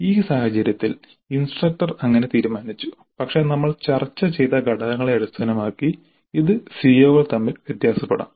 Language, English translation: Malayalam, In this case the instructor has decided like that but it can vary from CO to CO based on the factors that we discussed